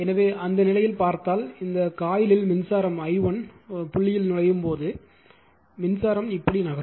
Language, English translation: Tamil, So, in that case if you look into that that if you when in this coil the current is entering into the dot i 1 current this is i 1 current thus current is moving like this is i 1 current